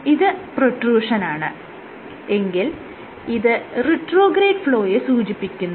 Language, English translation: Malayalam, So, this is the protrusion and this in is the retrograde flow